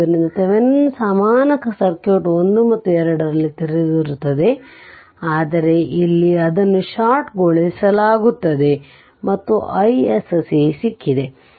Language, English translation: Kannada, So, what you do in Thevenin thevenin equivalent circuit 1 and 2 are open, but here it is shorted and we got i SC